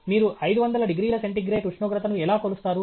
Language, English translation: Telugu, How do you measure a temperature of 500 degrees centigrade